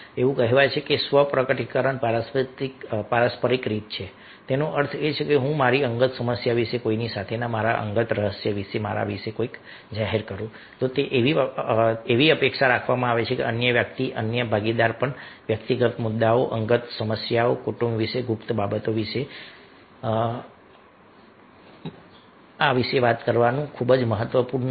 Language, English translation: Gujarati, that means if i disclose something about my self, about my personal problem about my personal secret with somebody, it it is expected that other person, other partner, will also disclose ah the same thing, the personal issues, the personal problems about family, about the secret things